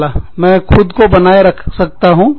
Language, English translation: Hindi, I can sustain myself